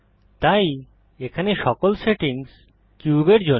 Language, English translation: Bengali, So all the settings here are for the cube